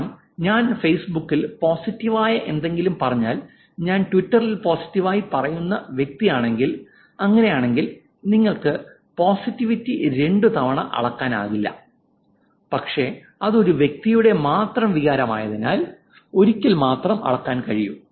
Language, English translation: Malayalam, Because if I say something positive in Facebook and I am the same person who is saying positive in Twitter, it is not, you can't measure the positivity as twice, but it's only once because it's only one person's sentiment